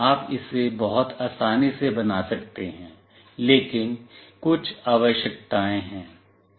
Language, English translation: Hindi, You can build it very easily, but there are certain requirements